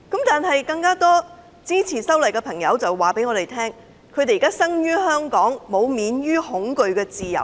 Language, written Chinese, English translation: Cantonese, 但是，更多支持修例的朋友告訴我，他們生於香港，但他們並沒有免於恐懼的自由。, Nevertheless a larger number of supporters of the amendment told me that they were born in Hong Kong but now they did not have the freedom to stay away from fear